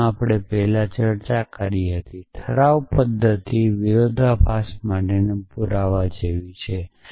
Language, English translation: Gujarati, So, as we discussed earlier the resolution method is like a proof for contradiction